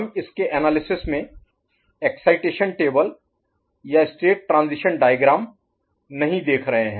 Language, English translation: Hindi, We are not looking into excitation table or state transition diagram in its analysis